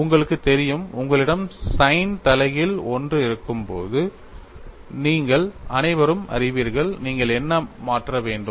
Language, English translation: Tamil, You all know when you have sign inverse 1, what is it that you have to substitute